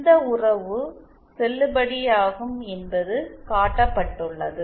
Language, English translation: Tamil, It can be shown that this relation is valid